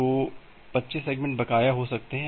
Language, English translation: Hindi, So, the 25 segments can be outstanding